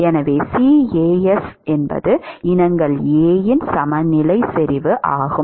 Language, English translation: Tamil, So, CAs is the equilibrium concentration of species A